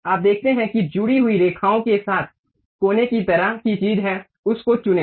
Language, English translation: Hindi, You see there is something like a corner kind of thing with connected lines, pick that one